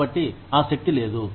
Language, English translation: Telugu, So, that the power is not out